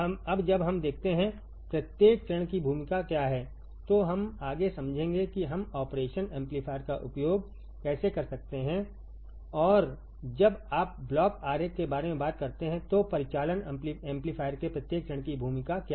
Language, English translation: Hindi, Now, when we see; what is the role of each stage, then we will understand further that how we can use the operation amplifier and what is the role of each stage of the operational amplifier when you talk about the block diagram